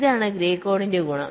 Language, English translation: Malayalam, this is the advantage of grey code